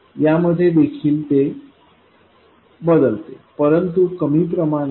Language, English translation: Marathi, Whereas in this it also changes but by a lot lesser amount